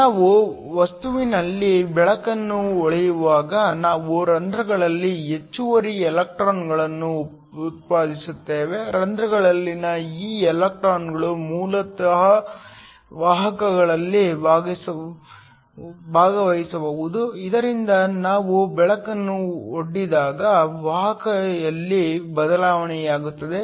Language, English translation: Kannada, So when we shine light in the material we generate excess electrons in holes, these electrons in holes can basically take part in conduction so that there is a change in conductivity when we expose light